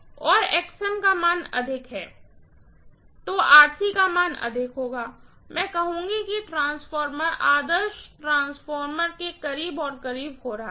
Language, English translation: Hindi, So, higher the value of Xm and higher the value of Rc, I would say that the transformer is getting closer and closer towards the ideal transformer